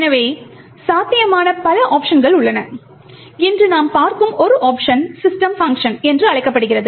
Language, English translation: Tamil, So, there are multiple options that are possible so one option that we will actually look at today is known as the system function